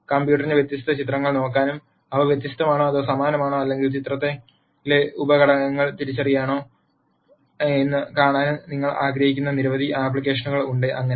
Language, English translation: Malayalam, There are many many ap plications where you want the computer to be able to look at di erent pictures and then see whether they are di erent or the same or identify sub components in the picture and so on